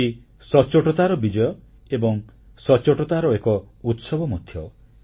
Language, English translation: Odia, GST is not only the victory of integrity but it is also a celebration of honesty